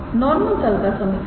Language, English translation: Hindi, equation of the normal plane